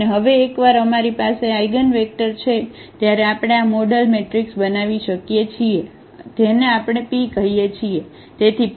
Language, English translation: Gujarati, And now once we have the eigenvectors we can formulate this model matrix which we call P